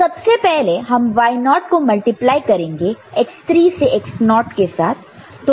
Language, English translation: Hindi, So, first we are multiplying y x3 to x naught using y naught